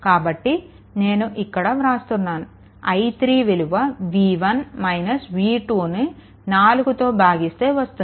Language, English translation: Telugu, So, here I am writing your i 3 is equal to v 1 minus v 2 v 1 minus v 2 divided by this 4 right